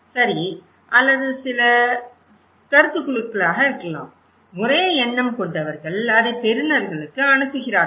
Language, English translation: Tamil, Okay or could be some opinion groups, same minded people they pass it to the receivers